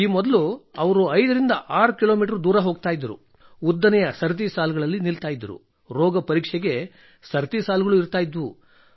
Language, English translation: Kannada, And earlier they used to go 56 kilometres away… there used to be long queues… there used to be queues in Pathology